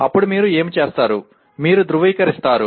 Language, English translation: Telugu, Then what you do, you validate